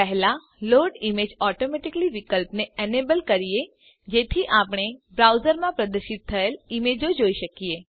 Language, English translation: Gujarati, First, lets enable the Load images automatically option, so that we can view the images displayed in the browser